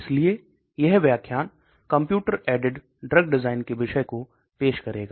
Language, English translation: Hindi, So this particular talk is going to introduce this topic of Computer aided drug design